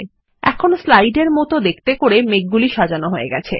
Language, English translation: Bengali, It now becomes simple to arrange the clouds as shown in the slide